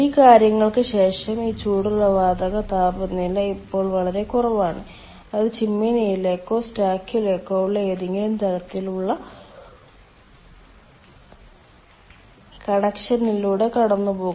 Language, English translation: Malayalam, then, after all these things, this hot gas, its temperature is now, ah, quite low and it will pass through the pass through some sort of that connection to the chimney or stack